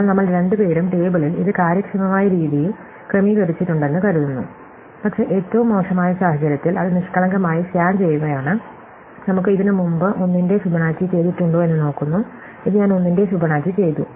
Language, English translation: Malayalam, So, we go down the table, hopefully it is organized in some efficient way, but in the worst case, let us just do naively scan it, we look have I ever done Fibonacci of 1 before, and see that I have done Fibonacci of 1 before